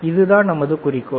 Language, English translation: Tamil, That is the only goal all right